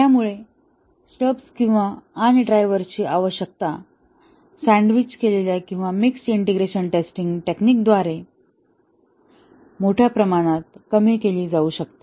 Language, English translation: Marathi, So, the number of stubs and drivers require to be written can be reduced substantially through a sandwiched integration testing technique